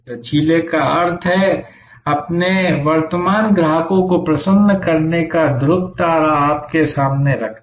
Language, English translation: Hindi, Flexible means that keeping the pole star of delighting your current customers in front of you